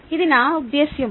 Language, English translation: Telugu, thats what i mean